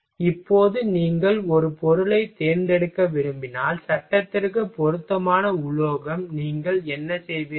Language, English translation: Tamil, So, now suppose that if you want to select a material, appropriate metal for frame, what you will do